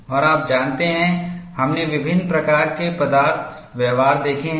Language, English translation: Hindi, And you know, we have seen different types of material behavior